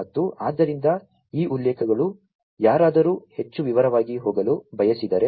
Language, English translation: Kannada, And so these references, you know, if somebody wants to go through in further more detail